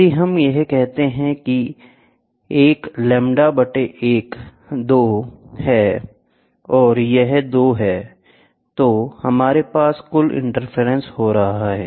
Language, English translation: Hindi, So, if we say this, a is lambda by 2, and this is 3 lambda by 2, then we have total interference happening